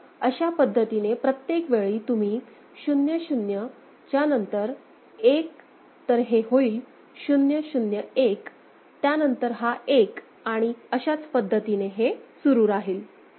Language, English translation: Marathi, So, this is in every case you put the 0 0, then after that 1, so this is 0 0 1, then this is 1 and this way it will continue